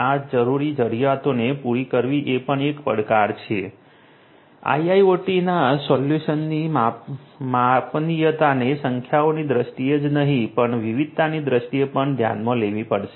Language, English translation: Gujarati, Catering to this going requirements is also a challenge; scalability of IIoT solutions will have to be taken into account both in terms of numbers, but not only in terms of numbers, but also in terms of diversity